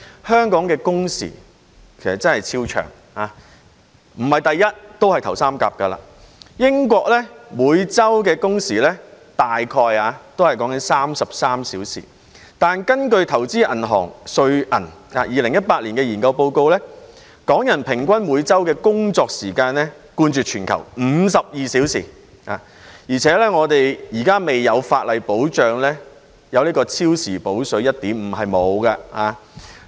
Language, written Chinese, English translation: Cantonese, 香港工時即使不是第一位也屬首三甲，英國每周工時約33小時，但根據投資銀行瑞銀在2018年的研究報告，港人每周的平均工作時間冠絕全球，是52小時，而且現時未有法例保障超時工作有 1.5 倍"補水"。, In terms of working hours Hong Kong must be among the top three even if it does not rank first . While the number of working hours in the United Kingdom is around 33 hours per week the study report published by the investment bank UBS in 2018 showed that the average working hours of Hong Kong people is 52 hours per week which is the highest in the world . Worse still there is no legislation to guarantee that employees working overtime can have an overtime compensation paid at 1.5 times of the hourly rate